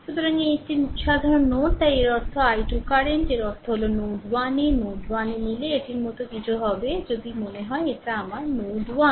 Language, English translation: Bengali, So, this one this is a common node right so; that means, this i 2 current; that means, at node 1 if you take node 1 it will be something like this is if this is suppose my node 1 right